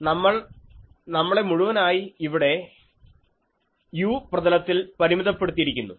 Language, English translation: Malayalam, We will completely restrict ourselves here in the u plane